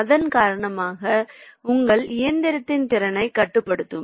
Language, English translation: Tamil, so that will be essentially control the your capacity of your machine